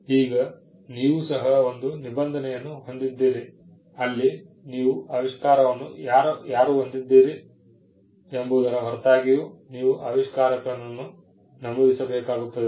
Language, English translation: Kannada, Now, you also have a provision, where you need to mention the inventor, regardless of who owns the invention